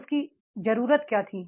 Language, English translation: Hindi, What was his need